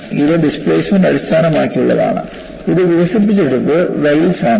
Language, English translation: Malayalam, This is displacement based; this was developed by Wells